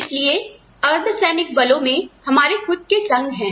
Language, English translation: Hindi, So, paramilitary forces having we have our own clubs